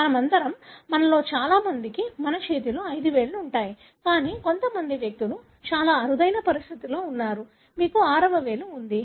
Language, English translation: Telugu, All of us, majority of us have five fingers in our hand, but certain individuals extremely rare condition, you do have sixth finger